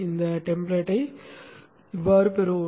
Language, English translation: Tamil, Let us have this template